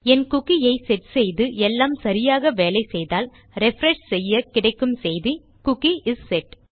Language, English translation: Tamil, Assuming that I have set my cookie and everything is working, when I refresh this Ill get the message that the Cookie is set